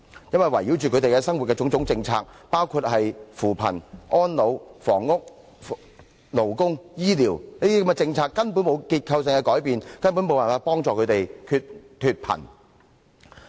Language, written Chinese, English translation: Cantonese, 因為圍繞他們生活的種種政策，包括扶貧、安老、房屋、勞工和醫療等政策根本沒有結構性改變，無助他們脫貧。, Because there is in fact no structural change in all those policies prevailing in their lives including poverty alleviation elderly care housing labour and health care . It cannot help them get rid of poverty